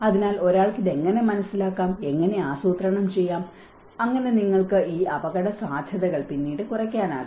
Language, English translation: Malayalam, So, how one can understand this and how can plan for it so that you can reduce these risks later